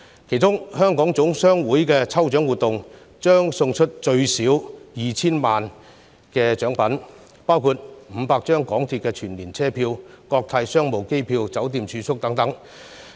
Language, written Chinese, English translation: Cantonese, 其中，香港總商會的抽獎活動，將送出最少 2,000 萬元的獎品，包括500張港鐵全年車票、國泰商務機票、酒店住宿等。, For instance the Hong Kong General Chamber of Commerce has organized lucky draws which will give out prizes worth at least 20 million including 500 MTR annual passes Cathay Pacific business class air tickets hotel accommodation etc